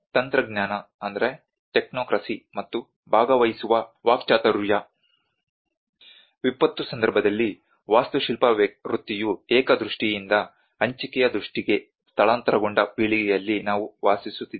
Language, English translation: Kannada, Technocracy and participatory rhetoric; We are living in a generation where the architecture profession in the disaster context has moved from a singular vision to a shared vision